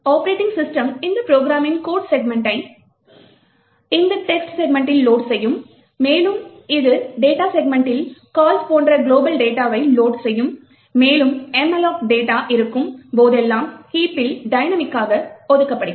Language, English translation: Tamil, The OS would load the code segments of this particular program into this text segment, it would load the global data such as calls into the data segment and whenever there is a malloc like this, which is dynamically allocated data, so this data gets allocated into the heap